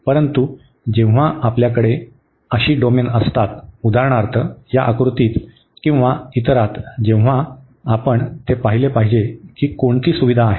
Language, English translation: Marathi, But, when we have such a domains for example, in this figure or in the other one then we should see that which one is convenience